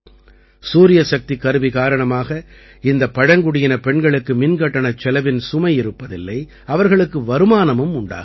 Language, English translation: Tamil, Due to the Solar Machine, these tribal women do not have to bear the burden of electricity bill, and they are earning income